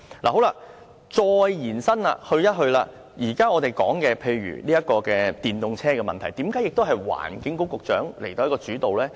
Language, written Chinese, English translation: Cantonese, 我再延伸說說，我們現在說的電動車問題，為何應該由環境局局長主導呢？, Let me carry my point a bit further . Why do we say that the Secretary for the Environment should lead the promotion of EVs?